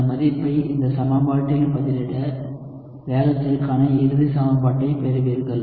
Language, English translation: Tamil, So, if you plug this value into this equation, you will get the final equation for the rate